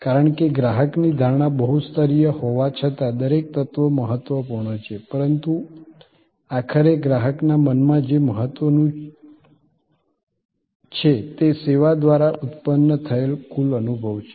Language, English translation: Gujarati, Because, the customer perception though multi layered, though each element is important, but what ultimately matters in his or her mind, in the mind of the customer is the total experience that is generated by service